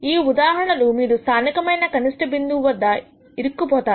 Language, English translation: Telugu, In which case you are stuck in the local minimum